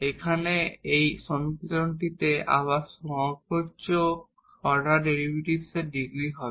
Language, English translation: Bengali, So, for example, in this first equation the highest order derivative is 4